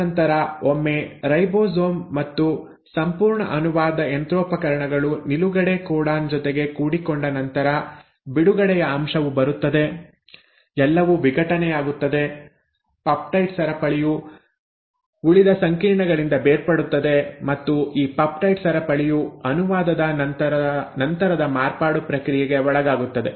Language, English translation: Kannada, And then once the ribosome and the entire translational machinery bumps into a stop codon the release factor comes every things gets dissociated, the peptide chain gets separated from the rest of the complex and this peptide chain will then undergo the process of post translational modification